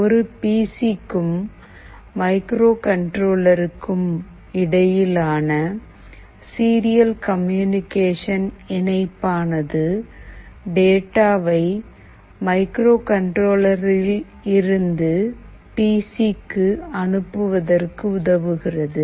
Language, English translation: Tamil, A serial communication link between the PC and the microcontroller is used to transfer data from microcontroller to PC, which is what we will be doing